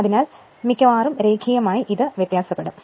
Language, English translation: Malayalam, So, almost linearly it should vary